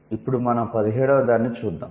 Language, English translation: Telugu, Now let's look at the 17th what it is saying